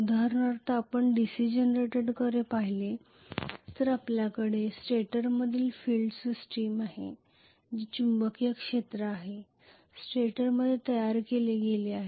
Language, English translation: Marathi, For example, if you look at the DC generator what we have is a field system in the stator that is the magnetic field is created in the stator